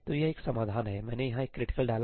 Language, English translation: Hindi, So, this is one solution I put a ëcriticalí here